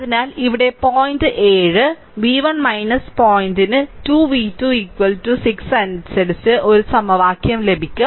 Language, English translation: Malayalam, So, you will get one equation in terms of here point seven v 1 minus point 2 v 2 is equal to 6